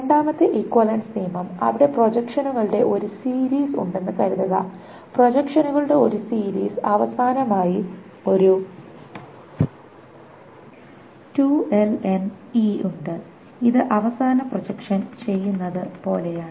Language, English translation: Malayalam, The second equivalence rule is if there is a series of projections, suppose there is a series of projections, and finally there is an LN of E